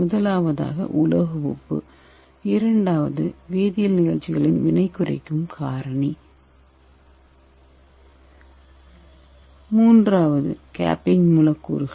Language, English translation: Tamil, First one is metal salt and second one is reducing agent and third is capping agent